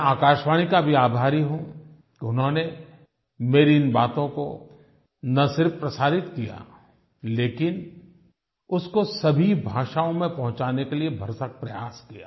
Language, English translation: Hindi, I am grateful to All India Radio also which not only broadcast my views but also put in their best efforts to transmit it in all languages